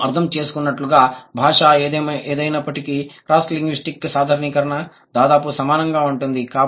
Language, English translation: Telugu, As we understand it seems no matter whatever might be the language, the cross linguistic generalization is almost similar